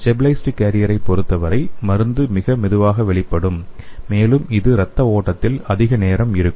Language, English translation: Tamil, And in case of stabilized carrier the drug will be released very slowly and it can stay in the blood stream for more time